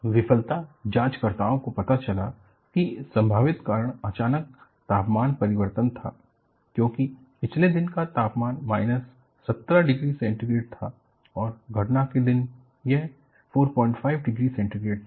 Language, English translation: Hindi, The failure investigators found out, that the possible cause was a sudden temperature change, as the temperature on the previous day was minus 17 degrees centigrade and on the day of occurrence, it was 4